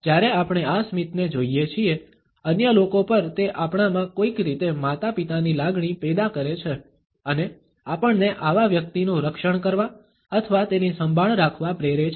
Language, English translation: Gujarati, When we look at this smile, on other people it generates somehow a parental feeling in us and making us want to protect or to care for such a person